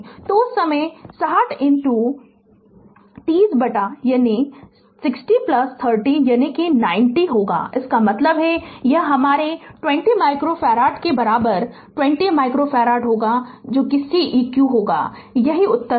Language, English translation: Hindi, So, at that time it will be 60 into 30 by 60 plus 30 that is 90; that means, it will be your ah 20 micro farad equivalent will be 20 micro farad that will be Ceq that will be the answer